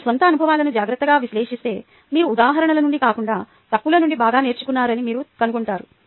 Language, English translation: Telugu, if you carefully analyze your own experiences, you will find that you learn best from mistakes, not from examples